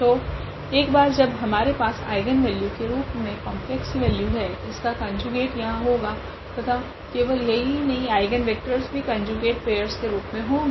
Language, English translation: Hindi, So, the once we have the complex value as the eigenvalue its conjugate will be there and not only that the eigenvectors will be also the conjugate pairs